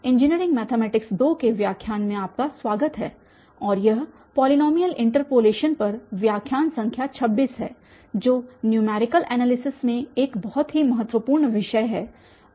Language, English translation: Hindi, So, welcome back to lectures on Engineering mathematics 2 and this is lecture number 26 on polynomial interpolation, a very important topic in numerical analysis